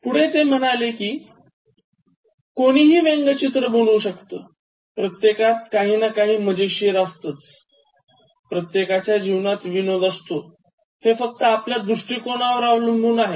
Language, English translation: Marathi, So, he says everybody can be made a caricature, everybody has something funny, every life has something humourous and it depends on the perspective